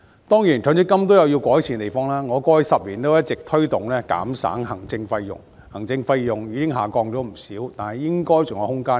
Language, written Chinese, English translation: Cantonese, 當然，強積金有其需要改善的地方，我過去10年一直推動減省行政費用，而這類費用已下降不少，但應該還有下調的空間。, Of course there are areas for improvement insofar as MPF is concerned . I have been advocating a cut in the administration fees over the past decade and such fees have dropped a lot but there should still be room for a further reduction